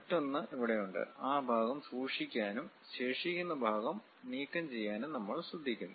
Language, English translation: Malayalam, Another representation is here we would like to keep that part and remove the remaining part